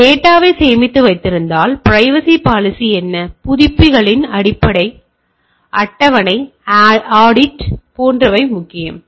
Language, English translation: Tamil, So, if I storing the data, what is the privacy policy a scheduled of updates, audits etcetera that is also important